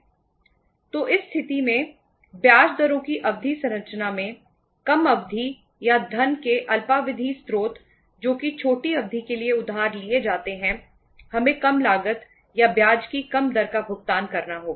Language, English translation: Hindi, So in this situation, the term structure of interest rates, shorter the duration or the short term sources of the funds which are borrowed for the shorter duration we have to pay the lesser cost or the lesser rate of interest